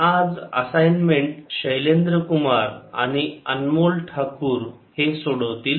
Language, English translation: Marathi, today's assignment will be solved by shailendra kumar and anmol thakor